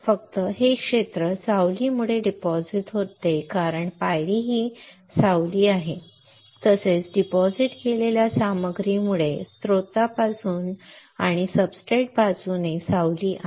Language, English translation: Marathi, Only this area gets deposited because of the shadow that is because of the step that is a shadow also because of the material that is deposited there is a shadow from the source right and from the substrate side